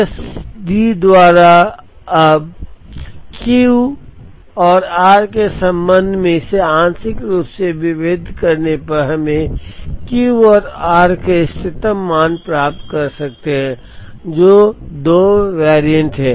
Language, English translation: Hindi, Now, partially differentiating this with respect to Q and r we can get the optimum values of Q and r which are the 2 variants